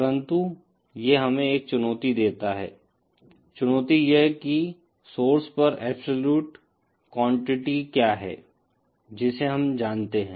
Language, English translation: Hindi, But that poses a challenge, the challenge being that what is the absolute quantity at the source that we know